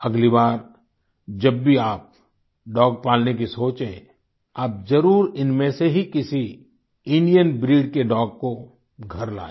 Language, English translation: Hindi, The next time you think of raising a pet dog, consider bringing home one of these Indian breeds